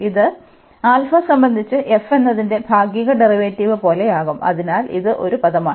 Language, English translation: Malayalam, And this will become like partial derivative of f with respect to alpha, so that is the one term